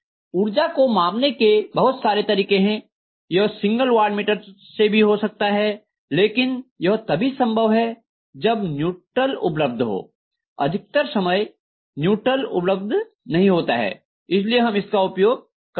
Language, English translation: Hindi, There are different power measurement methods, it can be with single watt meter but this can work only when neutral is available, most of the times neutral may not be available so we may not be using it